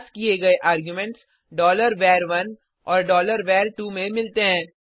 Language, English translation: Hindi, The passed arguments are caught in $var1 $var2